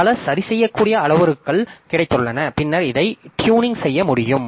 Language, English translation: Tamil, So, we have got many tunable parameters and then this we can do that